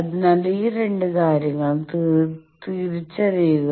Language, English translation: Malayalam, So, identify these two things